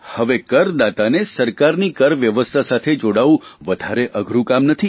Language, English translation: Gujarati, Now it is not very difficult for the taxpayer to get connected with the taxation system of the government